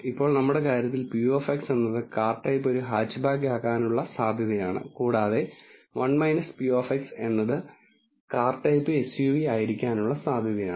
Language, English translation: Malayalam, Now, p of x in our case is the probability that the car type is hatchback and 1 minus p of x is the probability that the car type is SUV